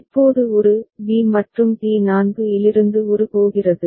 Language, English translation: Tamil, And now a was going, from a b and T4 were there